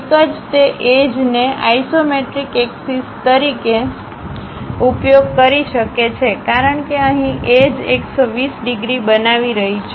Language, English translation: Gujarati, One can use those edges as the isometric axis; because here the edges are making 120 degrees